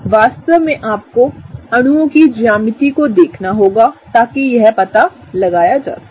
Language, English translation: Hindi, In fact, you have to look at the molecules geometry in order to figure that out